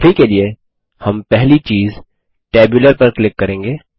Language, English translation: Hindi, For now, we will click on the first item, Tabular